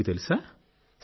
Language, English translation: Telugu, Did you know this